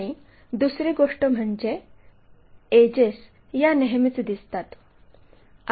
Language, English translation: Marathi, And, second thing edges are always be visible